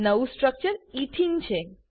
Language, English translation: Gujarati, The new structure is Ethene